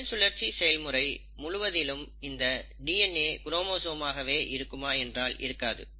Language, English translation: Tamil, Now it is not that throughout the cell cycle, you will find that a DNA always exists as a chromosome